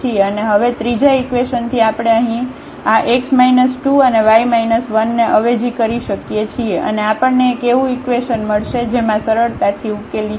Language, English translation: Gujarati, And, from the third equation now we can substitute this x minus 2 and y minus 1 here and we will get a equation in lambda which can be easily solved